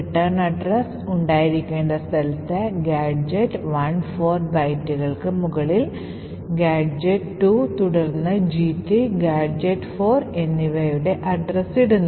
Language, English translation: Malayalam, In the location where the return address should be present, we put the address of the gadget 1, 4 bytes above that we put the address of gadget 2, then gadget 3 and gadget 4